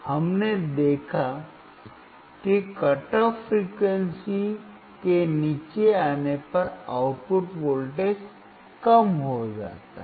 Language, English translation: Hindi, We observed that the output voltage decreases when we come below the cut off frequency